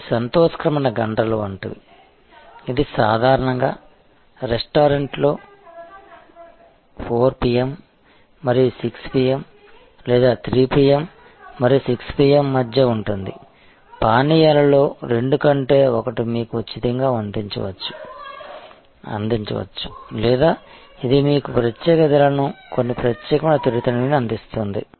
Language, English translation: Telugu, So, like happy hours, which is usually between 4 PM and 6 PM or 3 PM and 6 PM in a restaurant may provide you 2 for 1 type of deal in drinks or it can provide you certain special snacks at special prices and so on